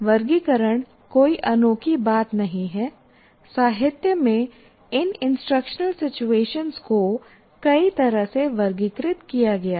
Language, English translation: Hindi, You can possibly, in the literature you will find these instructional situations are classified in many ways